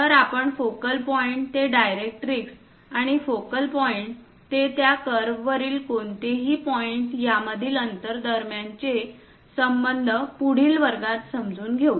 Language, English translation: Marathi, So, we will see, understand the relation between the focal point to the directrix and the distance from this focal point to any point on that curve in the next class